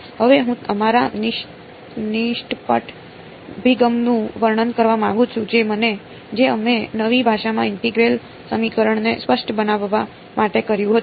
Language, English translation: Gujarati, Now I want to describe our naive approach that we did of discretizing the integral equation in the new language